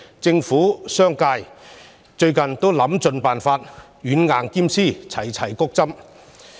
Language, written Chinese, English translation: Cantonese, 政府和商界近日都想盡辦法，希望軟硬兼施，齊齊"谷針"。, Both the Government and the business sector have tried their best in recent days to boost the vaccination rate by adopting a carrot and stick approach